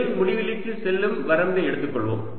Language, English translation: Tamil, let's take the limit l going to infinity